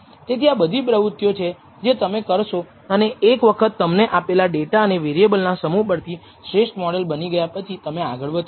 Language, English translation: Gujarati, So, these are the things that you would do and once you have built the best model that you can from the given data and the set of variables you have chosen then you proceed further